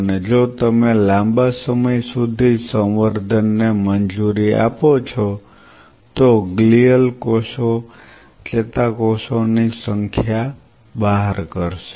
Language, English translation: Gujarati, And if you allow the culture for a prolonged period of time then the glial cells will out number the neurons